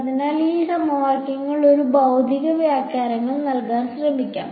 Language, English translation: Malayalam, So, now, let us just try to give a physical interpretation to these equations